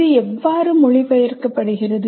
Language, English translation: Tamil, Now, how does it get translated